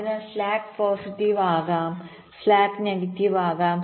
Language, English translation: Malayalam, so slack can be positive, slack can be negative